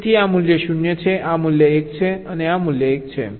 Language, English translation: Gujarati, so this value is zero, this value is one and this value is one